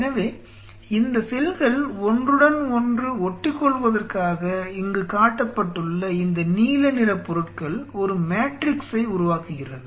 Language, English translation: Tamil, So, in order for them to adhere these compounds which are shown in blue out here this forms a matrix